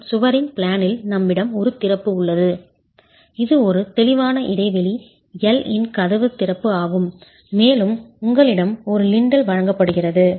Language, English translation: Tamil, As I said, we are looking at the plane of the wall and in the plane of the wall we have an opening, it's a door opening of a clear span L and you have a lintel that is provided